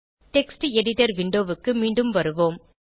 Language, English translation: Tamil, Now switch back to the Text Editor window